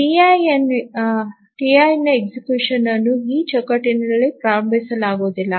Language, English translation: Kannada, So, the execution of the TI cannot be started in this frame